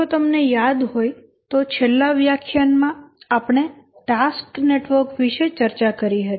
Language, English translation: Gujarati, If you remember in the last lecture we had discussed about task networks